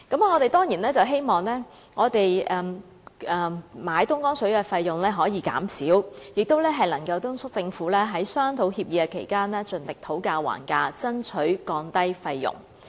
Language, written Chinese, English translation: Cantonese, 我們當然希望購買東江水的費用可以減少，也敦促政府在商討協議期間盡力討價還價，爭取降低費用。, We of course hope that the cost of purchasing Dongjiang water can be reduced and we also urge the Government to do its best to bargain for a lower cost when negotiating the agreement